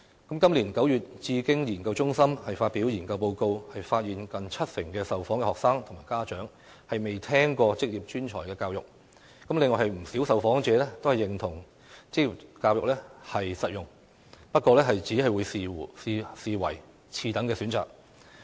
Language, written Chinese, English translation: Cantonese, 今年9月，智經研究中心發表研究報告，發現近七成受訪學生及家長未聽過職業專才教育，另有不少受訪者認同職業教育實用，不過只會視之為次等選擇。, According to a study report released by the Bauhinia Foundation Research Centre in September this year nearly 70 % of the students and parents surveyed had never heard of VPET . Although many respondents recognized the practicality of vocational education they merely regarded it as an inferior option